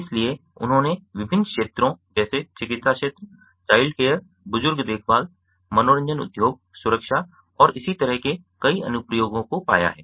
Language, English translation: Hindi, so they have found many applications in various fields, such as medical field, childcare, elderly care, entertainment, industry, security and so on